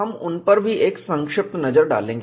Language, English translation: Hindi, We will also have a brief look at them